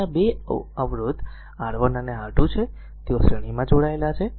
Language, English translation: Gujarati, There are 2 resistor resistors R 1 and R 2, they are connected in series, right